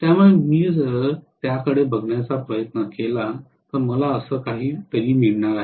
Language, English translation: Marathi, So the resultant if I try to look at it, I am going to get something like this